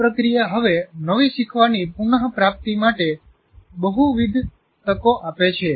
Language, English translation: Gujarati, This process now gives multiple opportunities to retrieve new learning